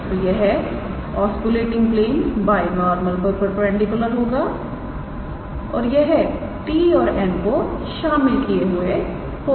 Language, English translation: Hindi, So, this oscillating plane will be perpendicular to the binormal and it will contain t and n